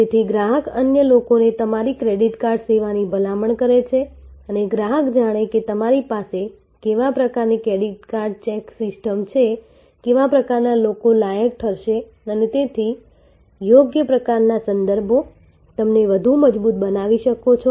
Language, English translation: Gujarati, So, the customer recommends your credit card service to others and the customer knows what kind of credit check system that you have, what kind of people will qualify and therefore, the right kind of references and you can actually further reinforce it